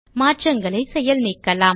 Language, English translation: Tamil, Lets undo this change